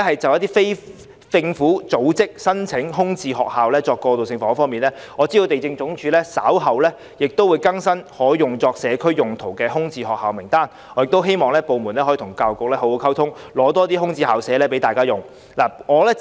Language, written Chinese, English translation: Cantonese, 就非政府組織申請空置校舍作過渡性房屋方面，我知道地政總署稍後會更新可作社區用途的空置校舍名單，因此我亦希望該部門可與教育局好好溝通，以便撥出更多空置校舍，供非政府組織使用。, In respect of application by non - governmental organizations for vacant school premises for transitional housing purpose I know that the Lands Department is going to update its list of vacant school premises available for community use . I also hope that the department can communicate well with the Education Bureau so that more vacant school premises can be allocated for use by non - governmental organizations